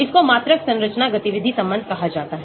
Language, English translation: Hindi, It is called Quantitative Structure Activity Relationship